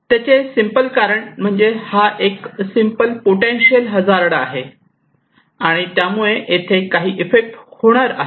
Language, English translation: Marathi, The simple reason is this is just simply a hazard which is potential to cause some effect